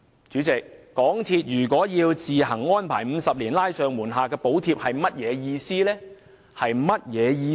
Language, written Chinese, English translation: Cantonese, 主席，港鐵公司自行安排50年"拉上瞞下"的補貼是甚麼意思？, President what is meant by MTRCL making its own arrangements to provide concealed subsidy for 50 years?